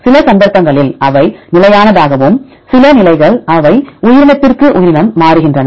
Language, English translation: Tamil, Some cases they maintain to be constant and some positions they change from organism to organism